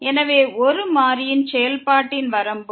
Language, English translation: Tamil, So, Limit of a Function of One Variable